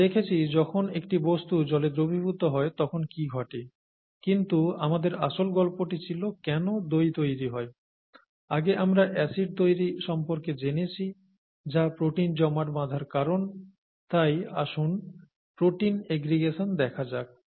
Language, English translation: Bengali, So we looked at what happens when a substance dissolved in, is gets dissolved in water, but our original story was why curd forms and we said acid formation, we saw acid formation earlier, and which causes protein aggregation, so let us look at protein aggregation